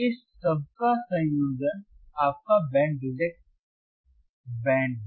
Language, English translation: Hindi, The combination of all this is your band reject band